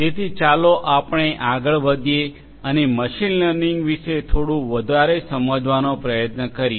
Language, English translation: Gujarati, So, let us move forward and try to understand a bit more about machine learning